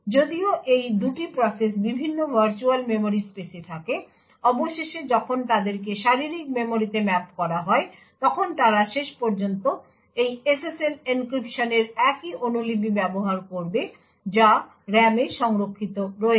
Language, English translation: Bengali, Eventually although these 2 processes are at different virtual memory spaces, eventually when they get mapped to physical memory they would eventually use the same copy of this SSL encryption which is stored in the RAM